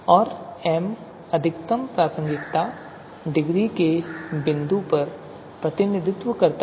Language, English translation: Hindi, And m represents the point of maximum pertinence degree, right